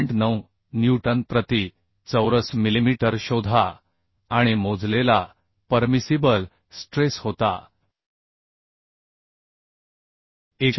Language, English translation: Marathi, 9 newton per millimetre square and the permissible stress calculated was 189